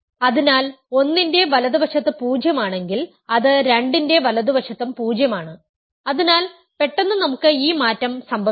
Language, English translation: Malayalam, So, if something is 0 to the right of 1, it is also 0 to the right of 2 so, suddenly we have this change